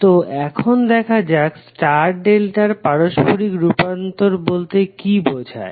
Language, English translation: Bengali, Now, let us talk about star to delta conversion